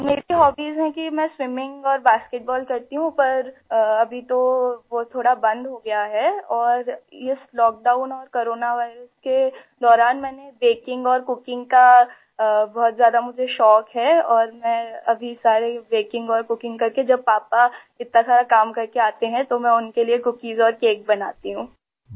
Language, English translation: Urdu, My hobbies are swimming and basketball but now that has stopped a bit and during this lockdown and corona virus I have become very fond of baking and cooking and I do all the baking and cooking for my dad so when he returns after doing so much work then I make cookies and cakes for him